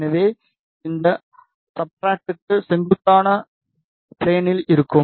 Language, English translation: Tamil, So, in the plane perpendicular to this substrate